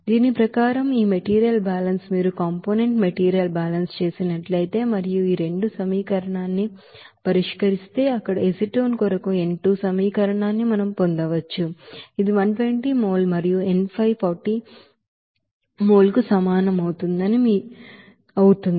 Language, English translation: Telugu, According to this you know, this material balance there so acetone for acetone if you do this component material balance and solving this two equation we can get this n2 will be is equal to what 120 mol and n 5 will be is equal to 40 mol